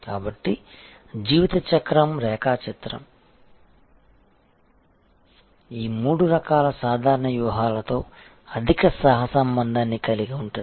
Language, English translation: Telugu, So, the life cycle diagram has a high correlation with this three types of generic strategies